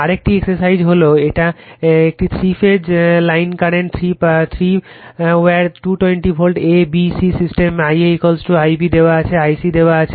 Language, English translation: Bengali, Another exercise is this ,, line current in a three phase, three wire, 220 Volt, a b c system , the I a is equal to is given I b is given I c is given